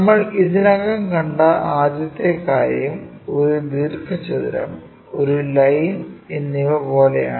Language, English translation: Malayalam, So, the first thing we have already seen, something like a rectangle and a line